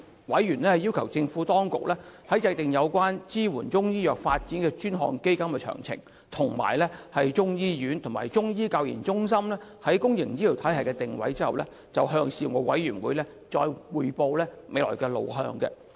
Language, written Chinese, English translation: Cantonese, 委員要求政府當局在訂定有關支援中醫藥發展的專項基金的詳情，以及中醫醫院和中醫教研中心在公營醫療體系的定位後，向事務委員會匯報未來路向。, Members requested the Administration to report to the Panel on the way forward after it had determined the details of a designated fund for supporting Chinese medicine development and the positioning of the relevant Chinese medicine hospital and the Chinese Medicine Centres for Training and Research in the public health care system